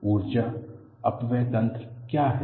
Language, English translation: Hindi, What are the energy dissipating mechanisms